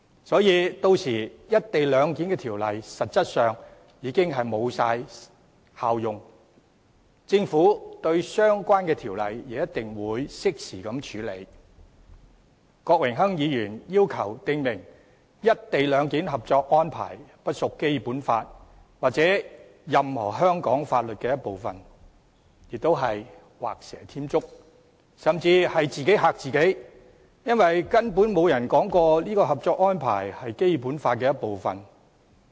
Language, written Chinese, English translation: Cantonese, 郭榮鏗議員要求訂明《內地與香港特別行政區關於在廣深港高鐵西九龍站設立口岸實施"一地兩檢"的合作安排》不屬《基本法》或任何香港法律的一部分，亦是畫蛇添足，甚至是自己嚇自己，因為根本沒有人說過《合作安排》是《基本法》的一部分。, Mr Dennis KWOKs request to provide that the Co - operation Arrangement between the Mainland and the Hong Kong Special Administrative Region on the Establishment of the Port at the West Kowloon Station of the Guangzhou - Shenzhen - Hong Kong Express Rail Link for Implementing Co - location Arrangement does not form part and parcel of the Basic Law or any laws of Hong Kong is also superfluous or even made out of subjective fear because there is simply no one saying that the Co - operation Arrangement will form part of the Basic Law